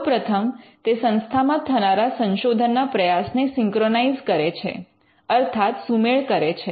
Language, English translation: Gujarati, One, it can synchronize the research efforts of an institution